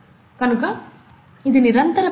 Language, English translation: Telugu, So it is a continuous process